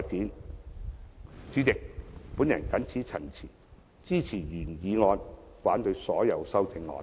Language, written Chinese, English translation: Cantonese, 代理主席，我謹此陳辭，支持原議案，反對所有修正案。, With these remarks Deputy President I support the original motion and oppose all amendments